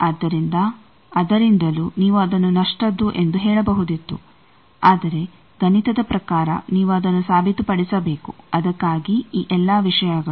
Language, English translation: Kannada, So, from that also you could have said that it should be lossy, but mathematically you will have to prove it that is why these thing